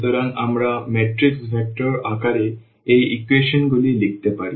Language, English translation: Bengali, So, we can write down this equation these equations in the form of the matrix vectors